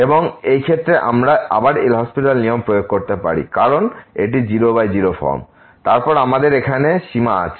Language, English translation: Bengali, And in this case we can apply again a L’Hospital rule because this is 0 by 0 form and then we have limit here